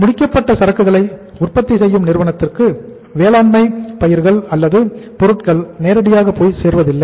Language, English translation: Tamil, The entire agricultural crops or products do not go directly to the manufacturers of the finished products